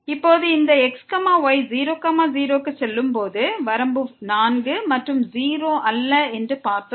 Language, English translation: Tamil, And now, we have seen that this limit as goes to 0 is 4 and not 0